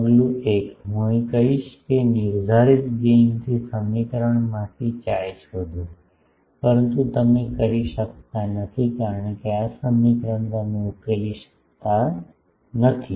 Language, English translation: Gujarati, Step 1 I will say that from specified gain find x from the equation, but you cannot do because this equation you cannot solve